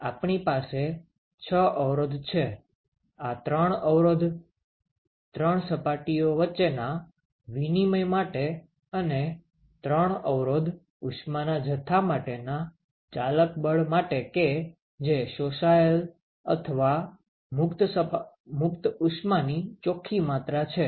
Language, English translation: Gujarati, So, we have 6 resistances; 3 resistances for exchange between each of three these three surfaces and 3 resistances for the driving force for the amount of heat, that is absorbed or the net amount of heat that is absorbed or liberated by that surface